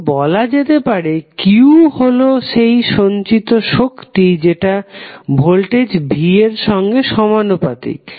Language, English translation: Bengali, So, can say that q that is stored charge is directly proposnal to v